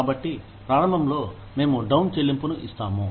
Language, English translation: Telugu, So, initially, we will give the down payment